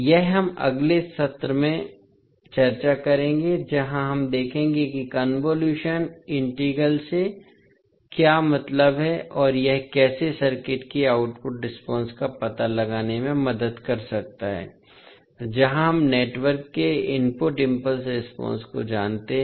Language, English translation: Hindi, This, we will discuss in the next session where we will see what do we mean by the convolution integral and how it can help in finding out the output response of a circuit where we know the input impulse response of the network